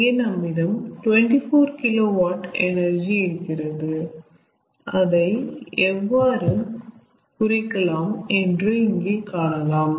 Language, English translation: Tamil, here also twenty four kilowatt energy is available, but how it will be represented, lets say from here